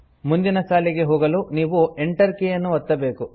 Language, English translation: Kannada, You can press the Enter key to go to the next line